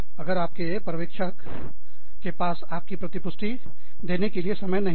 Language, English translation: Hindi, If your supervisor has not, had the time, to give you feedback